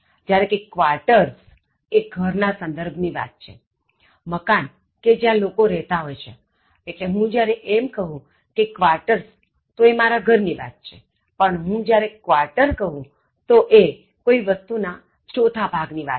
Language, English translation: Gujarati, Whereas, “quarters” refers to housing accommodations, the buildings where people reside, so when I say “quarters,” I refer to my house, but when I say quarter I refer to one fourth quantity of something